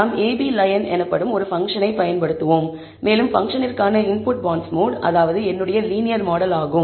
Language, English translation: Tamil, We will use a function called ab line and the input for the function is bondsmod which is my linear model